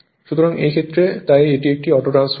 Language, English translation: Bengali, In that case, we call this as a Autotransformer